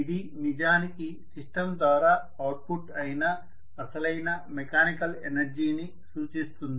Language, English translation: Telugu, So the mechanical energy output that has come out of the system